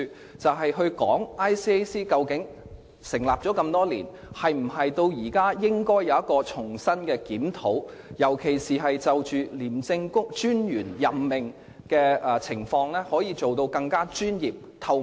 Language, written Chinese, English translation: Cantonese, 該條例草案是討論 ICAC 在成立多年後，應否重新進行檢討，特別是在任命廉政專員方面，能否做得更加專業和透明。, The bill deals with the question of whether ICAC should undergo a review of its structure after it has been established for so many years . In particular the bill seeks to find out whether the appointment of the Commissioner of ICAC can be done with greater professionalism and transparency